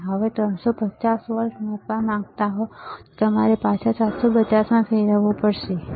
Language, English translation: Gujarati, If you want to measure 350 volts, you have to convert back to 7 50, all right